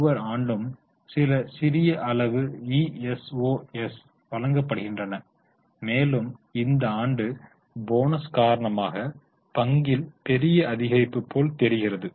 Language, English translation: Tamil, So, every year some slight amount of issuos are given and this year it looks like major rise in the share because of the bonus